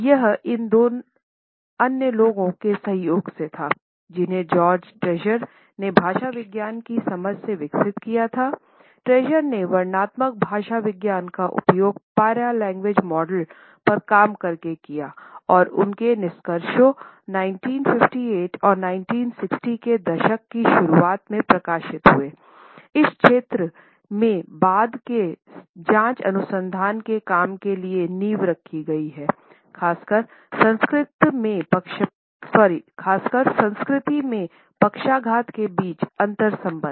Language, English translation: Hindi, It was in association with these two other people that George Trager developed his understanding of paralinguistics, Trager worked on using descriptive linguistics as a model for paralanguage and his findings were published during 1958 and early 1960s his work has laid foundation for later research in this area particularly in the area of investigating, interconnections between paralanguage in culture